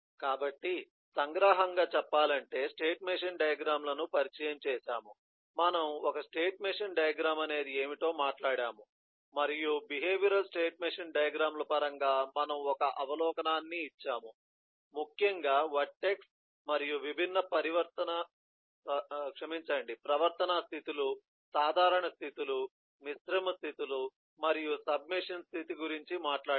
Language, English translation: Telugu, we have talked about what a state machine diagrams are and we have given an overview in terms of a behavioral state machine diagrams, particularly talking about eh, vertex and the different behavioral states: the simple states, the composite states and the submachine state